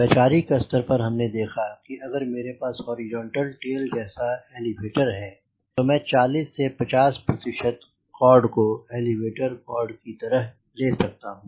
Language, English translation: Hindi, that if i have got a horizontal tail like this elevator, roughly i can take forty to fifty percent of the chord as the elevator chord